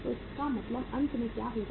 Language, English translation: Hindi, So it means finally what will happen